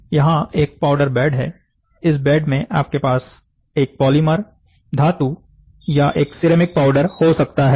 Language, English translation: Hindi, So, you have a powder bed, so in this bed you have, you can have a polymer, metal or a ceramic powder can be there